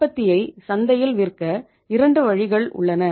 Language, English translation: Tamil, You have 2 ways to sell your production in the market